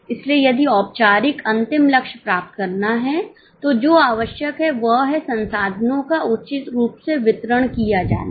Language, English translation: Hindi, So, if the formal, final goal is to be achieved, what is required is the resources are properly channelized